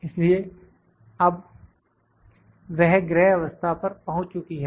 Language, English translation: Hindi, So, it has now went to the home position